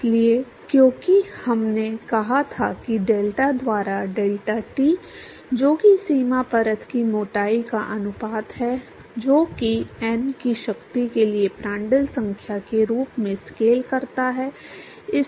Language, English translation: Hindi, So, because we said that the delta by deltat, which is the ratio of boundary layer thicknesses that scales as Prandtl number to the power of n